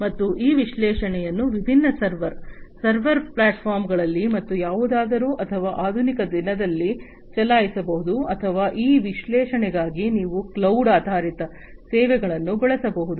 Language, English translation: Kannada, And these analytics could be run at different server, server forms or whatever or in the modern day we can used cloud based services for these analytics, right